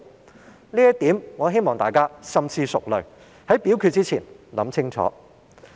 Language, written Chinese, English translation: Cantonese, 就這一點，我希望大家深思熟慮，在表決之前想清楚。, I hope Members will ponder this point and think it out before voting